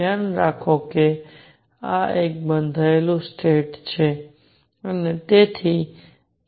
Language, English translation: Gujarati, Keep in mind that this is a bound state and therefore, E is less than 0